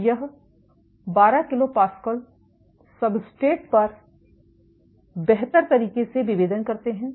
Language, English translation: Hindi, So, these guys they differentiate optimally on 12 kPa substrates